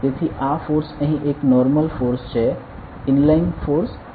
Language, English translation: Gujarati, So, this force over here is a normal force and not inline force